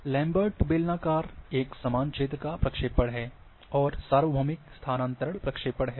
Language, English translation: Hindi, Lambert cylindrical equal area projections are there,your universal transfer projection is also equal area projection